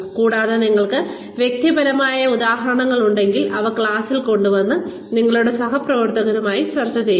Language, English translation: Malayalam, And, if you have personal examples, please bring them to class and discuss them with your colleagues